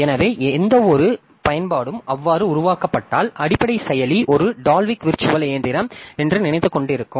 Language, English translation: Tamil, So, any application that is developed so it will be thinking that the underlying processor is a Dalvik virtual machine so it will be having programs translated into that machine